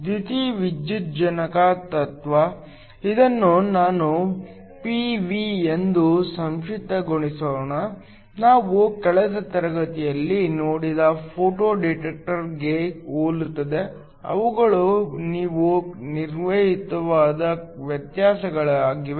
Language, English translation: Kannada, The principle of a photovoltaic, let me just abbreviate this as P V, is similar to the Photo detector that we looked at last class, they are just a few crucial differences